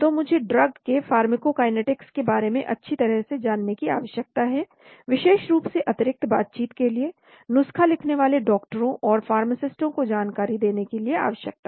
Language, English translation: Hindi, So I need to know well about that pharmacokinetics of the drug, especially for additional negotiations, need information for prescribing doctors and pharmacists